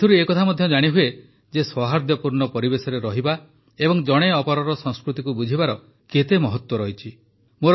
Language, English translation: Odia, These also show how important it is to live in a harmonious environment and understand each other's culture